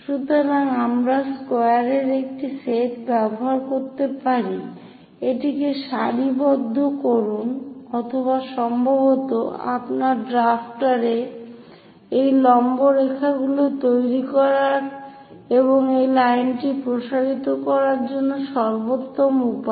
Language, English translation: Bengali, So, we can use set of squares these set squares we can use it, align that or perhaps your drafter is the best way to construct these perpendicular lines and extend this line